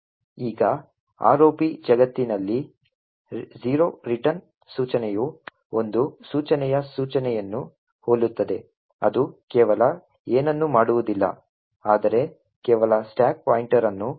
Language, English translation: Kannada, Now in the ROP world the return instruction is simpler to a no opt instruction, it does nothing but simply just increments the stack pointer